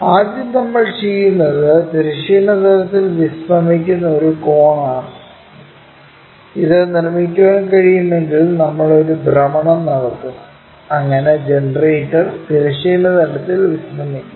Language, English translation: Malayalam, First, what we are doing is a cone resting on horizontal plane this is the thing if we can construct it then we will make a rotation, so that generator will be lying on the horizontal plane